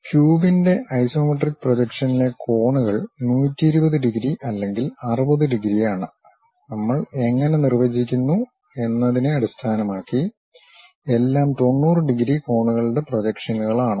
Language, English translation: Malayalam, The angles in the isometric projection of the cube are either 120 degrees or 60 degrees based on how we are defining and all are projections of 90 degrees angles